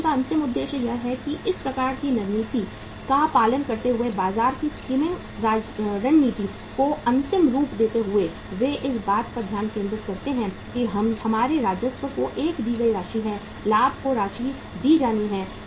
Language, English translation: Hindi, Ultimate objective of the company is that by following this kind of the strategy, skimming market skimming strategy they ultimate focus upon that our revenue has to be a given amount, profit has to be given amount